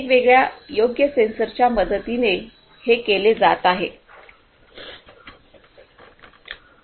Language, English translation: Marathi, These are being done with the help of different appropriate sensors